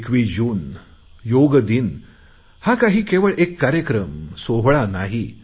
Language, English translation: Marathi, 21st June, International Yog Day is not just a mere event